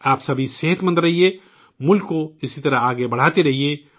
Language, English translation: Urdu, May all of you stay healthy, keep the country moving forward in this manner